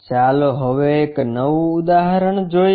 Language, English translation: Gujarati, Now, let us look at a new example